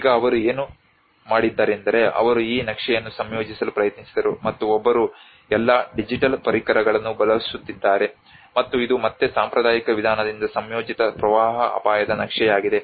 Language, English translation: Kannada, Now what they did was they tried to combine this map and one is using all the digital tools how they combined and this is again a combined flood risk map by a traditional approach